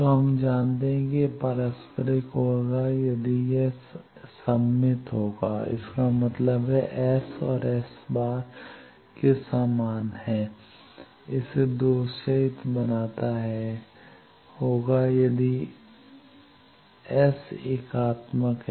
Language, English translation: Hindi, So, we know that reciprocal it will be S is symmetric; that means, S is equal to S transpose and lossless it will be if S is unitary